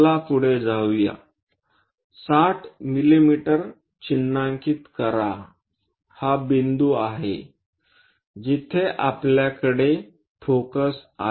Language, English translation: Marathi, Let us go ahead mark 60 mm so; this is the point where we have focus